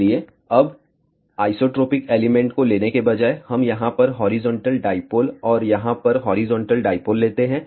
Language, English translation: Hindi, So, now, instead of taking isotropic elements, let us take horizontal dipole over here and horizontal dipole over here